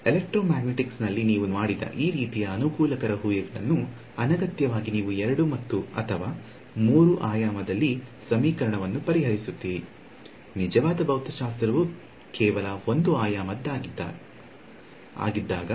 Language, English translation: Kannada, So, these kind of convenient assumptions you will find made throughout the electromagnetics otherwise unnecessarily you will be solving a 2 or 3 dimensional equation; when actually the actual physics is only 1 dimensional